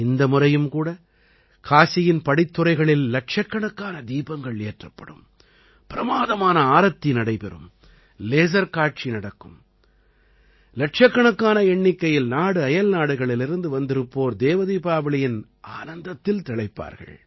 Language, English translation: Tamil, This time too, lakhs of lamps will be lit on the Ghats of Kashi; there will be a grand Aarti; there will be a laser show… lakhs of people from India and abroad will enjoy 'DevDeepawali'